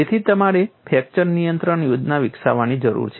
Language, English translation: Gujarati, So, you need to evolve a fracture control plan